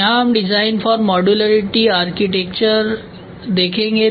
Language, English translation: Hindi, So, here we will see the design for modularity architecture